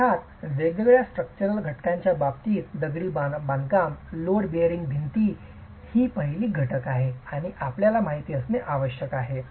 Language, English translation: Marathi, In terms of different structural components, of course masonry load bearing walls is the first element that you should be aware of